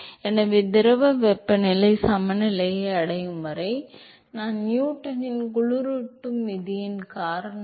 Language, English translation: Tamil, So, until the fluid temperature equilibrates, I because of Newton’s law of cooling